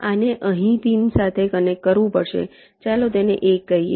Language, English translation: Gujarati, this has to be connected to a pin here, lets call it one